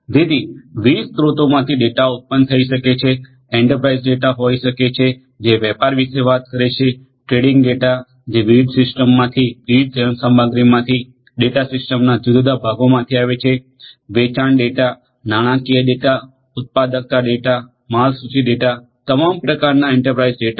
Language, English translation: Gujarati, So, data can be generated from different sources can be enterprise data, which talks about you know trades you know trading data, data coming from different machinery from different systems different parts of the systems, sales data, financial data productivity data, inventory data, all kinds of enterprise data